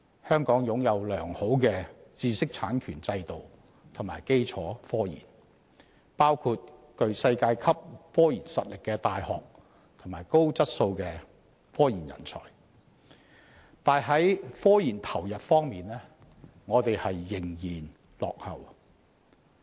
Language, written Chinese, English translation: Cantonese, 香港擁有良好的知識產權制度及科研基礎，包括具世界級科研實力的大學及高質素的科研人才，但本港在科研投入方面仍然落後。, Despite boasting a robust regime for intellectual property rights and a strong research base including universities with world - class scientific research capabilities and quality talent in scientific research Hong Kong is still caught in a lag in terms of investments in scientific research